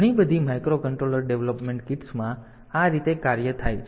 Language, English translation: Gujarati, In many of the microcontroller development kits, they do it like this